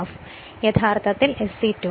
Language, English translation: Malayalam, So, it is in this way will be SE 2